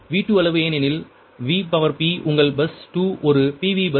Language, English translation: Tamil, so magnitude v two because vp, your ah, bus two is a pv bus